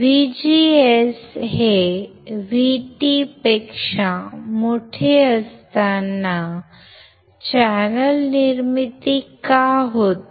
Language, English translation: Marathi, But when my VGS is greater than VT, then there will be formation of channel